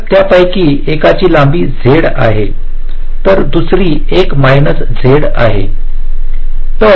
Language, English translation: Marathi, so the length of one of them is z, other is one minus z